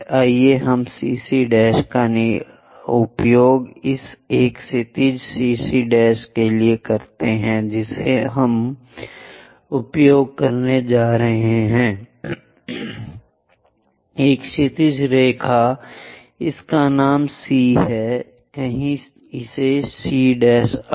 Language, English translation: Hindi, Let us use CC prime for this a horizontal CC prime we are going to use, a horizontal line name it as C somewhere it goes C prime axis